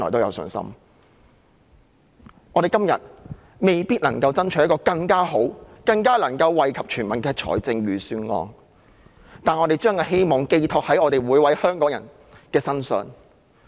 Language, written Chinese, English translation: Cantonese, 今天，我們未必能夠爭取一份更好、更能夠惠及全民的預算案，但我們把希望寄託在每位香港人身上。, Today we may not be able to fight for a better Budget which can benefit all people even more . Yet we put our hope in every Hongkonger